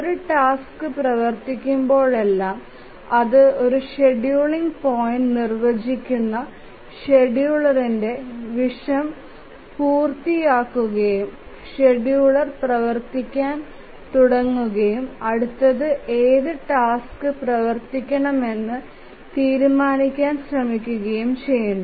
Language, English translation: Malayalam, So, whenever a task is running and it completes that wakes up the scheduler, that defines a scheduling point and the scheduler starts running and tries to decide which task to run the next